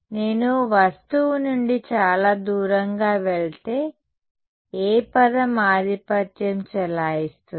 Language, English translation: Telugu, If I go very far away from the object, what term will dominate